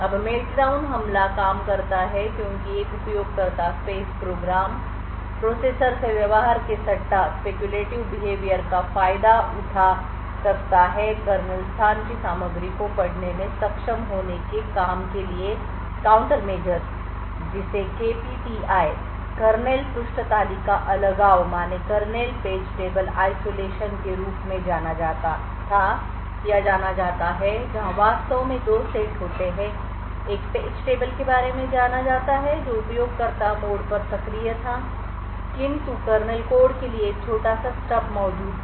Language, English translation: Hindi, Now the Meltdown attack works because a user space program could exploit the speculative of behavior off the processor to be able to read contents of the kernel space the countermeasures work for this was known as KPTI or Kernel page table isolation in fact there where two sets of page tables one known of one which was activated in the was on user mode the other in the kernel mode so in the use of what the entire page tables that map to the kernel code was not present only a small stub for the kernel space was present so whenever the user space program invokes a system call it would be first trapped into this kernel space which would then shift more to the kernel mode and map the entire kernel space into the region similarly on return from the system call the virtual space would go back into this user mode now if a Meltdown type of attack was actually utilized it has to be done from the user space and therefore would not be able to actually read any of the kernel space memory because the kernel space memory is not mapped in this particular mode